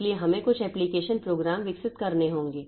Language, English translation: Hindi, So, we have to have some application programs developed